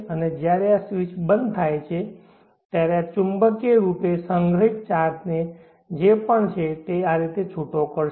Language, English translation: Gujarati, Ad when this is switched off whatever magnetically stored charge is there it will get released in this fashion